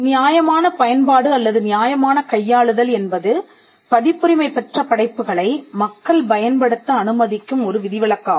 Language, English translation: Tamil, Now, fair use or fair dealing is one such exception which allows people to use copyrighted work